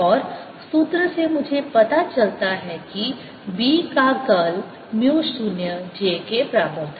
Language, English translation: Hindi, and the formula gave me that curl of b was equal to mu zero j